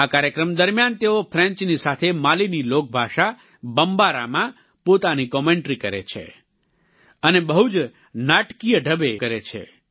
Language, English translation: Gujarati, During the course of this program, he renders his commentary in French as well as in Mali's lingua franca known as Bombara, and does it in quite a dramatic fashion